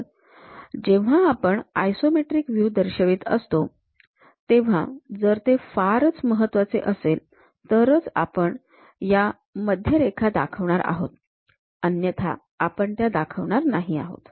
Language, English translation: Marathi, So, when you are showing isometric views; if it is most important, then only we will show these kind of centerlines, otherwise we should not show them